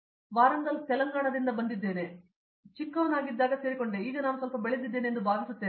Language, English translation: Kannada, From Warangal, Telangana, so to be frank I joined here as a kid and I think now I have grown up little bit